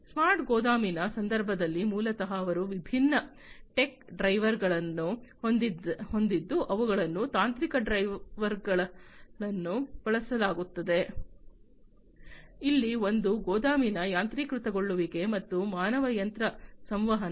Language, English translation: Kannada, In the context of the smart warehousing basically they have different tech drivers that are used technological drivers, where one is the warehouse automation and the human machine interaction